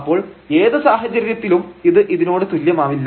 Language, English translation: Malayalam, So, in any case this is not equal to this one